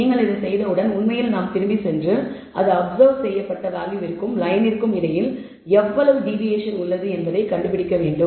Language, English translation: Tamil, Then once you have done this we will actually go back and find out how much deviation is there between the observed value and the line